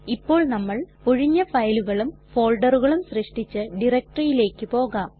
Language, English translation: Malayalam, We will move to the directory where we have created empty files and folders